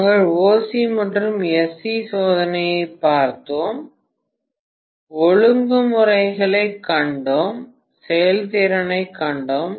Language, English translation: Tamil, We had seen OC and SC test, we had seen regulation, we had seen efficiency